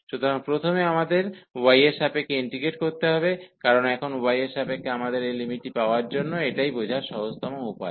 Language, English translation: Bengali, So, first we have to integrate with respect to y, because now with respect to y we have so for getting this limit this is the easiest way to understand